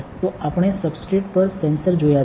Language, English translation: Gujarati, So, we have seen the sensors on the substrate, right